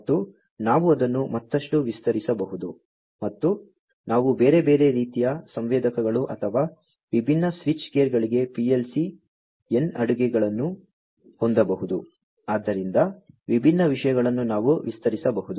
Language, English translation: Kannada, And, we could even extend it further and we could have PLC n catering to different other kinds of sensors or different switch gears etcetera, you know; so different things we could extend